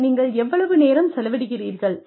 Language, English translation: Tamil, How much time, you will spend